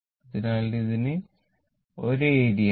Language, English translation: Malayalam, So, it has a same area right